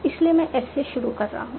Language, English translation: Hindi, In top up I start with S